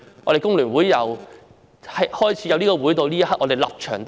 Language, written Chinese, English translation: Cantonese, 我們工聯會自創會至今，立場仍是一樣。, Ever since the inception of FTU our stance has always been the same